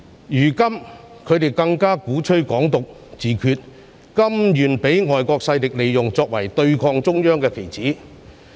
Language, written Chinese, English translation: Cantonese, 現在他們更鼓吹"港獨"、自決，甘願被外國勢力利用，作為對抗中央的棋子。, Now they even advocate Hong Kong independence and self - determination willing to be used by foreign forces as pawns against the Central Authorities